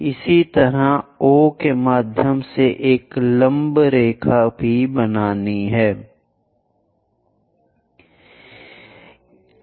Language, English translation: Hindi, Similarly, draw one perpendicular line through O also